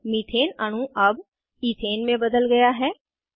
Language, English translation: Hindi, Methane molecule is now converted to Ethane